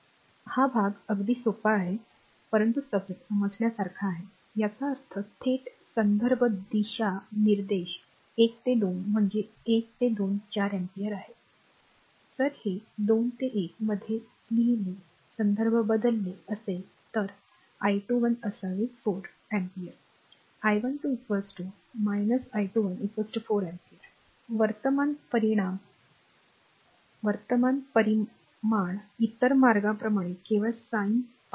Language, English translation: Marathi, So, this part is very simple, but understandable if you; that means, direct reference direction 1 to 2 means from 1 to 2 4 ampere if you take this is reference written 2 to 1 the sine is change, then I 21 should be minus 4 ampere therefore, I 12 is equal to minus I 21 is equal to 4 ampere, current magnitude will remain same only the sine part right other way